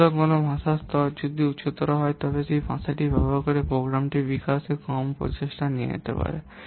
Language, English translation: Bengali, So, if the level of a what language is high, then it will take less effort to develop the program using that language